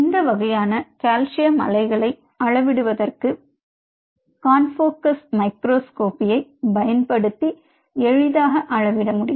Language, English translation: Tamil, something like this and the these kind of wave could be easily measured using confocal microscopy